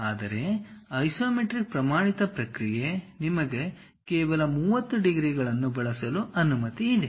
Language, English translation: Kannada, But the standard process of isometric is, you are permitted to use only 30 degrees